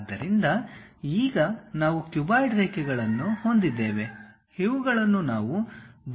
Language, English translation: Kannada, So, now we have the cuboid lines, the sides edges